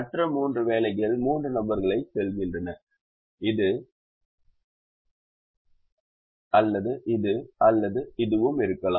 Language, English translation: Tamil, the other three jobs go to the three persons this, this and this, or it could be this, this and this